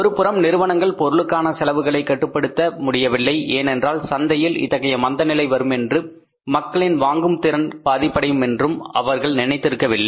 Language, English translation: Tamil, On the one side, firms were not able to control the cost of the product because they never had thought of that this type of the recession will be there in the market and the purchasing power of the people will be badly affected